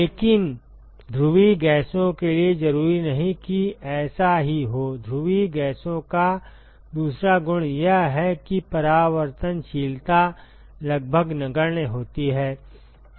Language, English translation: Hindi, But for polar gases, that is not necessarily the case; the other property of polar gases is, that the reflectivity is almost negligible